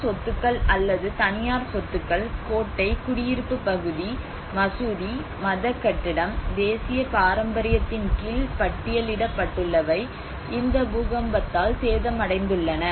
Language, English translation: Tamil, Which are the state properties or the private properties and whether it is a citadel, whether it is a residentials, whether it is a mosque, or religious buildings and which are listed under the national heritage have been damaged by this earthquake